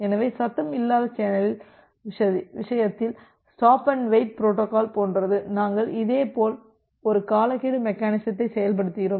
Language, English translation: Tamil, So, in case of a noisy channel, similar to the stop and wait protocol we also implement similarly a timeout mechanism